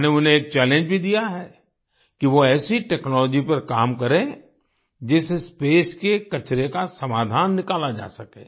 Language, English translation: Hindi, I have also given him a challenge that they should evolve work technology, which can solve the problem of waste in space